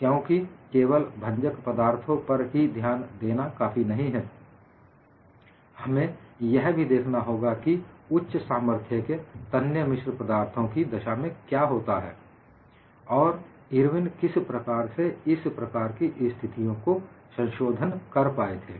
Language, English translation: Hindi, Because only confining our attention to brittle solids will not be sufficient because we have to look at what happens in high strength ductile alloys; how Irwin was able to modify for such a situation